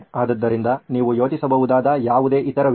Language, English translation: Kannada, So any other ideas that you can think of